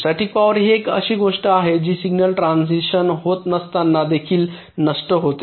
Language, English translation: Marathi, static power is something which is dissipated even when no signal transitions are occurring